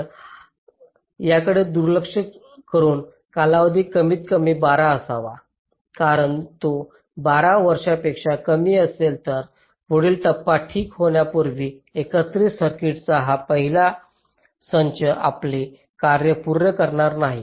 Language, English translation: Marathi, ok, so, ignoring this, the time period should be at least twelve, because if it is less than twelve, then this first set of combination circuit will not finish its separation before the next stage comes